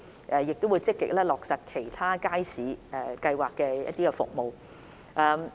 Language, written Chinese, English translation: Cantonese, 我們亦會積極落實其他街市計劃的服務。, We will also actively pursue the services under the other market projects